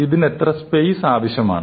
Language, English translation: Malayalam, So, how much space does it take